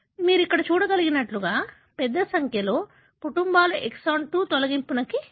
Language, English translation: Telugu, As you can see here, a large number of families show exon 2 deletion